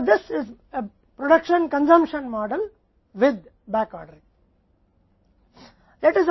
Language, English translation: Hindi, So, this production consumption model with back ordering